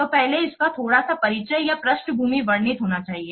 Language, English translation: Hindi, So, that has to be a little bit of background or introduction should be described first